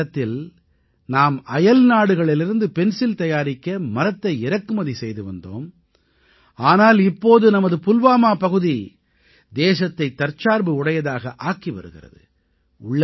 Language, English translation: Tamil, Once upon a time we used to import wood for pencils from abroad, but, now our Pulwama is making the country selfsufficient in the field of pencil making